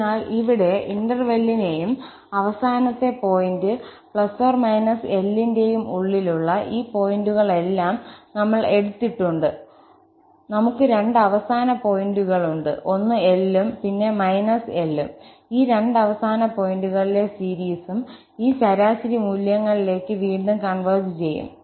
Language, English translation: Malayalam, So, here, we have taken all these inner points of the interval and the end points, we have two end points, one is plus L and then the minus L and the series at this these two end points will converge again to these average values